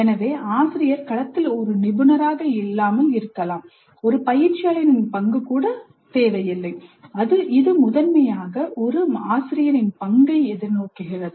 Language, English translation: Tamil, So the tutor may not be even an expert in the domain, the role is not even that of a coach, it is primarily the role of more of a tutor